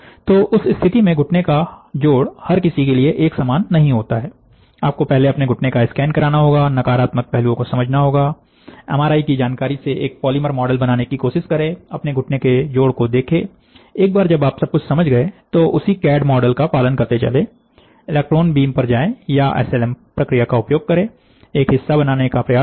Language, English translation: Hindi, So, you have to first scan your knee, understand the negative counterpart, from the MRI information, try to make a polymer model, look at your knee joint, once you have understood everything, then trace the same CAD model, go to electron beam or use SLM process, try to make your part